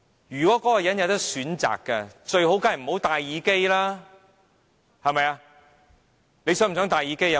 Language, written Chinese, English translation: Cantonese, 如果那個人可以選擇，最好便是不用戴耳機了，對嗎？, If he could choose he would rather not to use the hearing aid is it right?